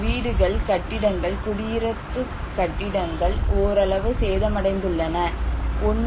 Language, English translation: Tamil, 5 lakhs houses buildings residential buildings were partially damaged, 1